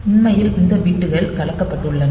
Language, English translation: Tamil, So, actually these bits are actually mixed